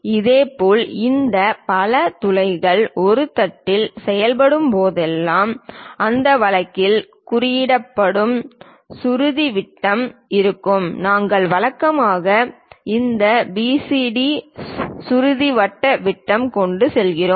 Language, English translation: Tamil, Similarly, whenever these multiple holes are made on a plate, there will be a pitch diameter represented in that case we usually go with this PCD pitch circle diameters